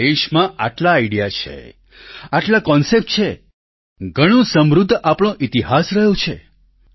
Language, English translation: Gujarati, Our country has so many ideas, so many concepts; our history has been very rich